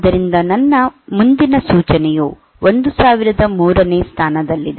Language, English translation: Kannada, So, my next instruction is at location 1003